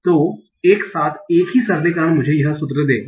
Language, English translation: Hindi, So together, the simplification will give me this formula